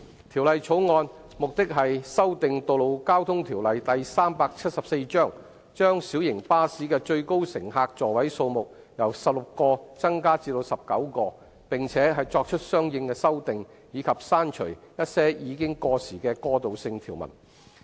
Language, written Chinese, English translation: Cantonese, 《條例草案》旨在修訂《道路交通條例》，將小型巴士的最高乘客座位數目由16個增加至19個，並作出相應修訂，以及刪除一些已過時的過渡性條文。, The Bill seeks to amend the Road Traffic Ordinance Cap . 374 to increase the maximum passenger seating capacity of light buses from 16 to 19; to make consequential amendments; and to remove certain obsolete transitional provisions